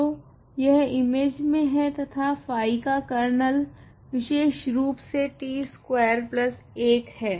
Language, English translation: Hindi, So, its in image and kernel phi is precisely t square plus 1